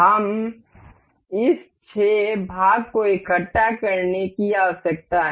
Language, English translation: Hindi, We have this six part needs to be assembled to each other